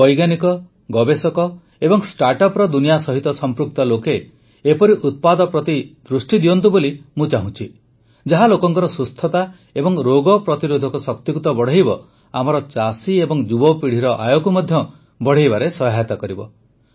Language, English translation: Odia, I urge scientists, researchers and people associated with the startup world to pay attention to such products, which not only increase the wellness and immunity of the people, but also help in increasing the income of our farmers and youth